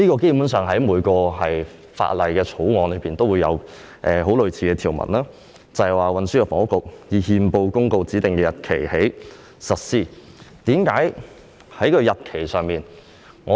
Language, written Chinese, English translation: Cantonese, 基本上，每項法案均有訂定類似條文，現時討論的規定是由運輸及房屋局局長以憲報公告指定的日期開始實施。, Basically a similar provision can be found in every bill and according to the proposed requirements under discussion the amended ordinance shall come into operation on a day to be appointed by the Secretary for Transport and Housing by notice published in the Gazette